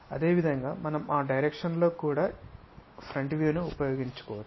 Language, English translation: Telugu, Similarly, we could have used front view in that direction also